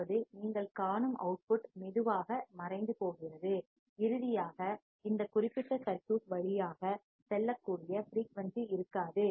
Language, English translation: Tamil, That means, the output you will see is slowly fading down, and finally, there will be no frequency that can pass through this particular circuit